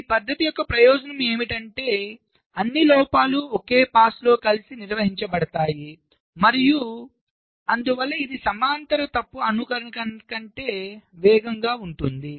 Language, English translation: Telugu, so the advantage of this method is that all faults are handled together in a single pass and therefore it is faster than parallel fault simulation